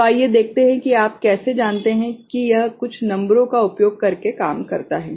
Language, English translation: Hindi, So, let us see how you know it works out with using some numbers